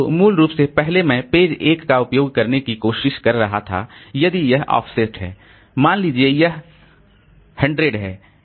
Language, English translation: Hindi, So basically the first I was trying to access, say, page one, this, if this offset is say 100, so page 100